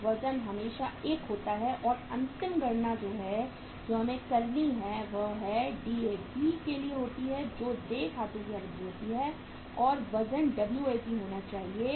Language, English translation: Hindi, So weight is always 1 and the last weight we have to calculate is that is for the Dap that is the duration of accounts payable stage and the weight has to be Wap